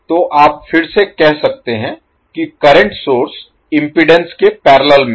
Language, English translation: Hindi, So you can say again the current source is in parallel with impedance